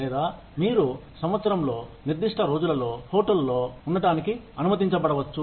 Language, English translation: Telugu, Or, you may be allowed to stay in the hotel, for a certain number of days, in a year